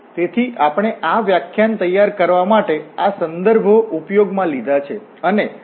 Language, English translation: Gujarati, So, these are the references we have used for preparing this lecture